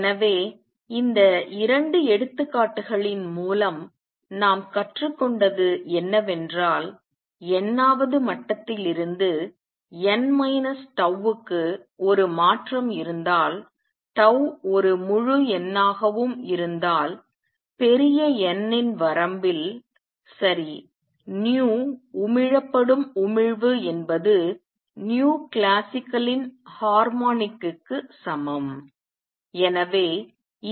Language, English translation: Tamil, So, what we have learned through these 2 examples is that if there is a transition from nth level to n minus tau th tau is also an integer then in the limit of large n, right, the nu emission emitted is equal to a harmonic of nu classical